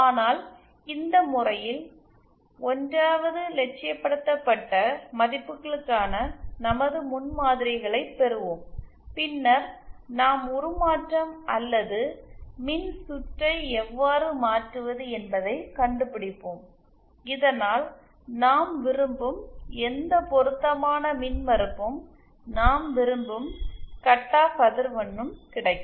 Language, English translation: Tamil, But just for this case, 1st we will be deriving our prototypes for these idealised values and then we shall be finding the transformation or how to transform the circuit so that we get whatever impedance matching we want and whatever cut off frequency that we want